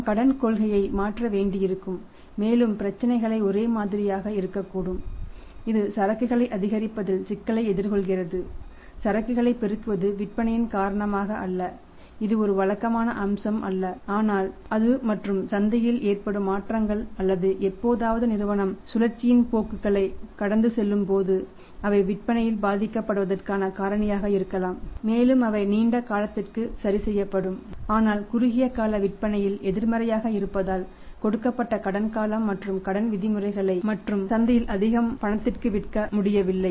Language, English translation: Tamil, We will have to change the credit policy and the problems could be like same the firm is this is facing the problem of increasing inventory, mounting inventory is not because of sales it is not a regular feature but just because of that and changes in the market or sometime when the firm passes through the cyclical trends so they may be the reason that the sales get affected and they will get corrected in the long term but in the short term sales have negative believe in it and we are not able to sell more in the market on the given credit period and the credit terms maybe as well as on the cash